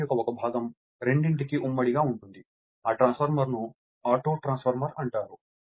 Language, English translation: Telugu, So, that part of the winding is common to both, the transformer is known as Autotransformer